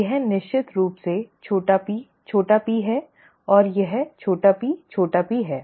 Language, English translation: Hindi, So let us start here small p small p, small p small p